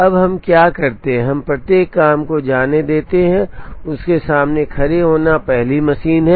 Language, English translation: Hindi, Now what we do is we let each job go and stand in front of it is first machine